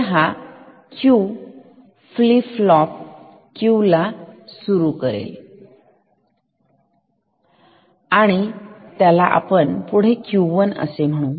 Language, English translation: Marathi, So, this Q can drive this flip flop call it Q 1